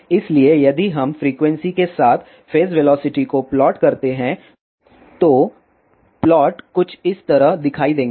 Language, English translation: Hindi, So, if we plot phase velocity with frequency, then the plots will looks something like this